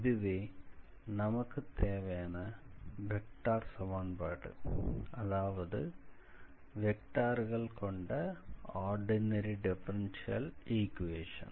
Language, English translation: Tamil, So, this is your required vector equation or ordinary vector differential equations I would say